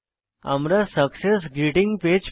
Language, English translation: Bengali, We get a Success Greeting Page